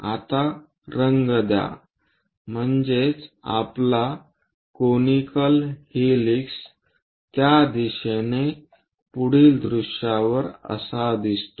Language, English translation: Marathi, Now make a color, so our conical helix looks in that way on the frontal view